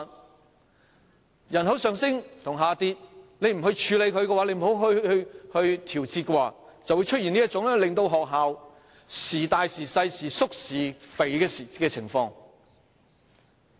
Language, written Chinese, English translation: Cantonese, 面對人口上升或下跌，若不處理或調節，便會出現這種學校班數時大時小、時縮時肥的情況。, Faced with a rise or fall in the population if we do not deal with the change or make any adjustment such fluctuations in the number and size of school classes will appear